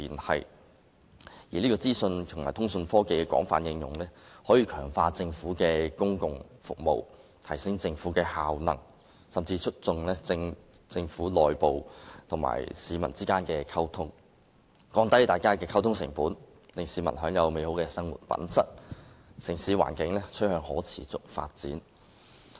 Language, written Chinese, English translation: Cantonese, 同時，資訊和通訊科技的廣泛應用，可強化政府提供的公共服務，提升政府效能，甚至促進政府內部與市民之間的溝通，降低溝通成本，提高市民的生活質素，城市環境也同時趨向可持續發展。, Meanwhile the extensive application of information and communications technology can enhance public services provided by the Government upgrade the Governments effectiveness and even promote communication between the Government and the public lower communication costs and upgrade the publics standard of living . The environment of the city is likely to become sustainable too